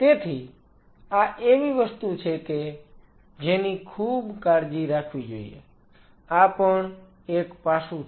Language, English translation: Gujarati, So, this is something which one has to be very careful this is one aspect